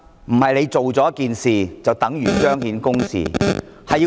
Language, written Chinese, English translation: Cantonese, 不是做了一件事，便等於彰顯公義......, Justice cannot be manifested simply by completing one task